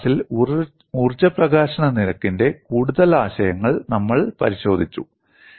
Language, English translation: Malayalam, In this class, we have looked at the further concepts in energy release rate